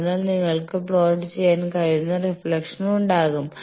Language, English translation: Malayalam, So, there will be reflection that you can plot